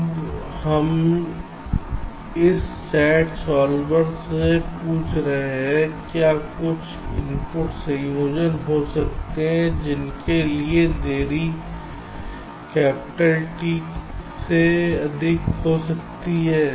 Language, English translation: Hindi, now we are asking this sat solver: can there be some input combinations for which the delay can exceed capitality